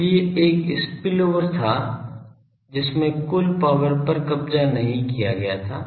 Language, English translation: Hindi, So, one was spillover that all the power was not captured